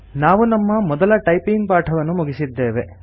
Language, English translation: Kannada, We have completed our first typing lesson